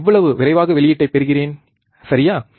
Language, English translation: Tamil, How fast I get the output, right